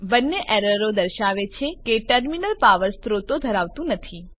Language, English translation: Gujarati, Both errors say that the terminals have no power sources